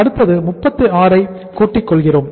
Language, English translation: Tamil, Then next is the plus 36